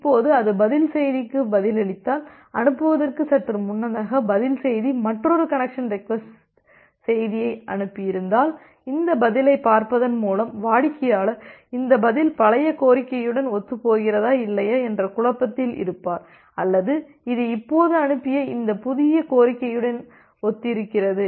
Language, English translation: Tamil, Now, if it replies the reply message and just before sending, the reply message if it has sent another connection request, then by looking into this reply the client will be in a dilemma up whether this reply is the reply corresponds to the old request or it is the reply corresponds to this new request that it has just sent out